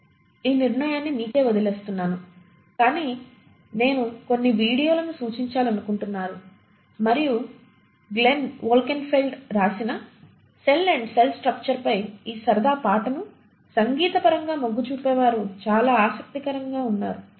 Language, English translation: Telugu, Well I leave that decision for you to make but I would like to suggest a few videos, and there is a very interesting the ones who are musically inclined to just look at this fun song on cell and cell structure by Glenn Wolkenfeld